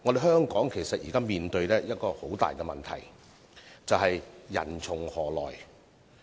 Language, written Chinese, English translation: Cantonese, 香港目前面對一個重大問題，就是人從何來。, At present the major problem facing Hong Kong is the source of workers